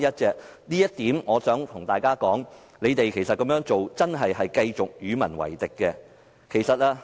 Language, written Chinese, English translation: Cantonese, 就這一點，我想對大家說，他們這樣做，真的是繼續與民為敵。, In this connection I want to tell you that what they are doing is actually going against peoples wish